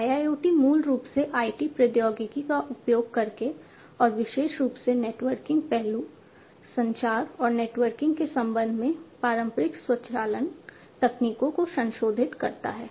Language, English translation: Hindi, So, IIoT basically modifies the traditional automation techniques by exploiting the IT technology and particularly with respect to the networking aspect, the communication and networking